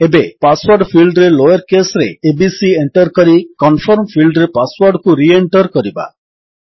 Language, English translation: Odia, Now, in the Password field, lets enter abc, in the lower case, and re enter the password in the Confirm field